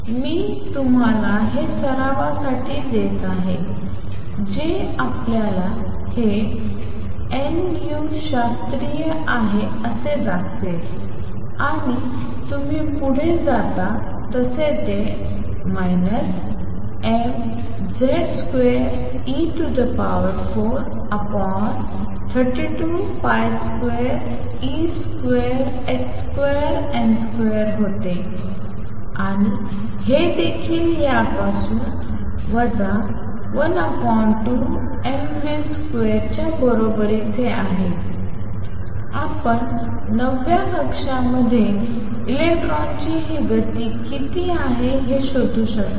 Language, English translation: Marathi, I leave it as an exercise for you to show that this is nu classical and this is how you proceed E n is given to be minus m z square e raise to 4 over 32 pi square epsilon 0 square h square n square and this is also equal to minus 1 half m v square from this, you can find what this speed of the electron in the nth orbit is